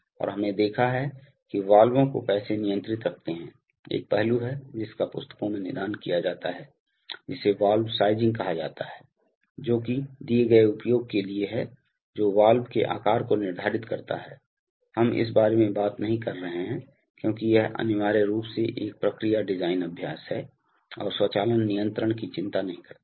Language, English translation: Hindi, And we have seen how valves are actuated and controlled, there is one aspect which is treated in books, which is called valve sizing, that is for a given application determining the size of the valve, we have, we are not talking about that because this is essentially a process design exercise, and not does not concern automation control